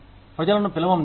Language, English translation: Telugu, Call people over